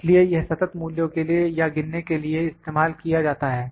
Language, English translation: Hindi, So, it is used more for discrete values or can be counted